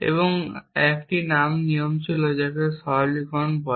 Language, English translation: Bengali, So, we use 1 rule for inference called simplification